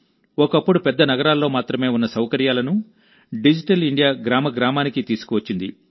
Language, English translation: Telugu, Facilities which were once available only in big cities, have been brought to every village through Digital India